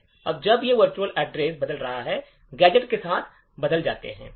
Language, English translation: Hindi, Now, since a virtual address map changes, the locations of the gadget would change